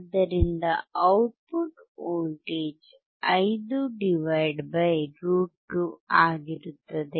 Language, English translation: Kannada, So, the output voltage would be (5 / √2)